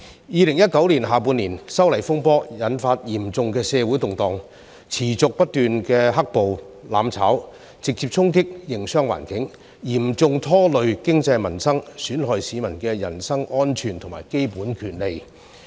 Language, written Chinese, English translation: Cantonese, 2019年下半年，修例風波引發嚴重的社會動盪，持續不斷的"黑暴"、"攬炒"，直接衝擊營商環境，嚴重拖累經濟民生，損害市民的人身安全和基本權利。, In the second half of 2019 the legislative amendment controversy triggered serious social unrests . The continuous black - clad violence and mutually destructive activities had direct impact on the business environment seriously dragging down the economy affecting peoples livelihood and jeopardizing peoples personal safety and basic rights